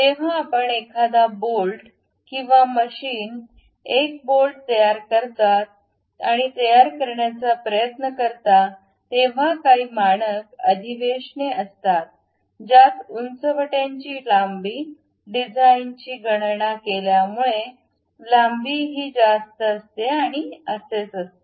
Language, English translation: Marathi, Whenever you manufacture a bolt or machine a bolt and try to prepare it there are some standard conventions like heights supposed to this much, length supposed to be this much and so on because of design calculation